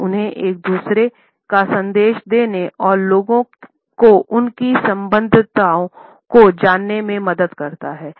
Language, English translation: Hindi, It helps them to give messages to each other and letting people know their affiliations